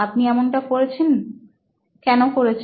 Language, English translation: Bengali, How did you do this